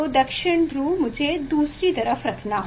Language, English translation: Hindi, South Pole I have to keep other side the South Pole